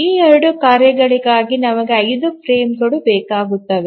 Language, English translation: Kannada, So we need five frames for these two tasks